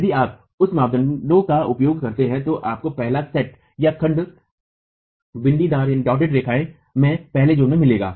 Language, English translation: Hindi, If you use that criterion you would get the first set of dotted lines in the first zone